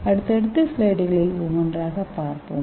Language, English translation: Tamil, we will see one by one in the subsequent slides